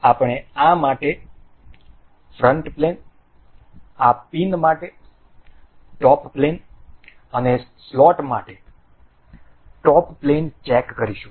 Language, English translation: Gujarati, We will check the front plane for this, top plane for this the pin and the top plane for the slot